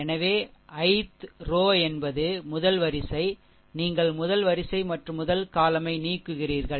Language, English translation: Tamil, So, ith row means first one first row column you eliminate